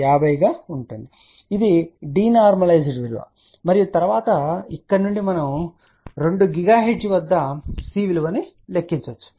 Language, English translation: Telugu, 36 divided by 50 that is the d normalized value and then from here we can calculate the value of C at 2 gigahertz